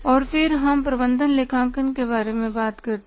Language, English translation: Hindi, And then we talk about the management accounting